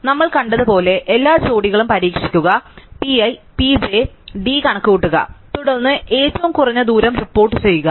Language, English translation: Malayalam, So, as we have seen a brute force solution would be to try every pair, compute d of p i p j and then report the minimum amount of distances